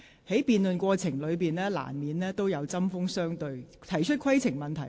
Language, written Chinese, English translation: Cantonese, 在辯論過程中，議員難免針鋒相對。, During the course of debate it is inevitable that Members will engage in heated exchanges